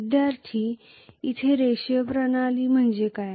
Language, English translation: Marathi, What do you mean by linear system here